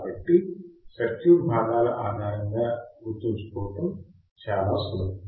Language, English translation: Telugu, So, very easy to remember based on circuit components as well